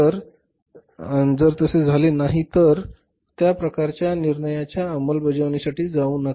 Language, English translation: Marathi, If it doesn't happen then don't go for implementing that kind of the decision